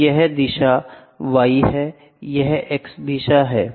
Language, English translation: Hindi, So, this is y direction, this is x direction, ok